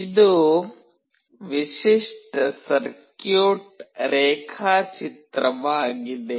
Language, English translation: Kannada, This is the typical circuit diagram